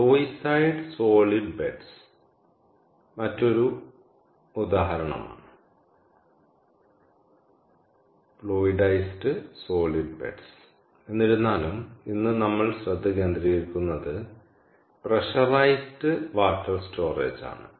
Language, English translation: Malayalam, fluidized solid beds is another example, but, however, today what we will focus on is the first one, which is pressurized water storage